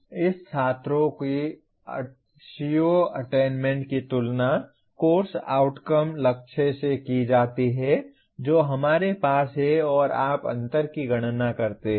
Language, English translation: Hindi, Now this students’ CO attainment is compared with course outcome targets that we have and you compute the gap